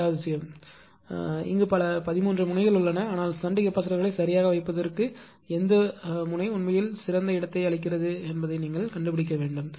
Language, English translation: Tamil, Second thing, second thing is that there are so many here you have thirteen nodes, but you have to find out which node actually gives the best location for the placement of the shunt capacitors right